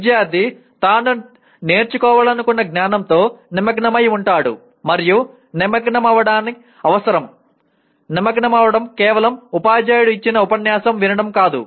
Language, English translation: Telugu, Student is engaging with the knowledge he is expected to learn and engagement is the one that is necessary for, engagement is not mere listening to the lecture given by the teacher